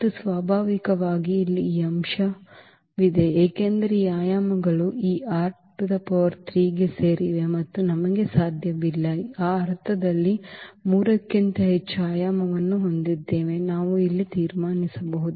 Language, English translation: Kannada, And naturally, that is the case here because the dimension that is the full dimension because the elements belongs to this R 3 and we cannot have the dimension more than 3 in that sense also we can conclude here